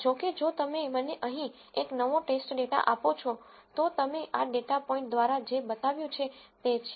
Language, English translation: Gujarati, However, if you give me a new test data here, so which is what you shown by this data point